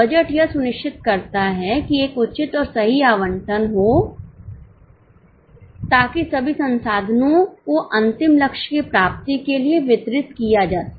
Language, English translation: Hindi, Budgeting ensures that a proper and a fair allocation happens so that all resources can be channelized for the achievement of final goal